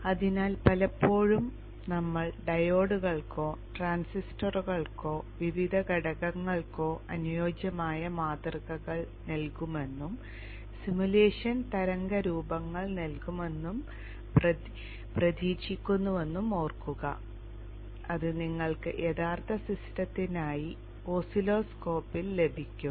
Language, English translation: Malayalam, So remember that many a times we will put kind of idealized model for the diures or the transistors or the various components and expect the simulation to give waveforms which you would get on the oscilloscope of a real system